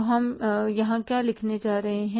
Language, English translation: Hindi, So, we will have to write here particulars